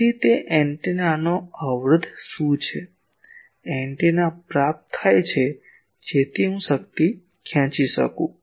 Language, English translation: Gujarati, So, what is the impedance of that antenna; receiving antenna so that I can extract power